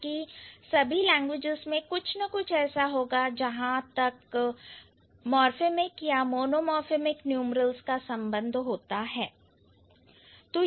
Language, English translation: Hindi, Rather, all languages will have something or the other as far as morphem like one morphem or monomorphic numerals are concerned